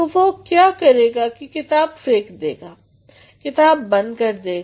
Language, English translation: Hindi, So, what he will do who will throw the book aside, keep the book aside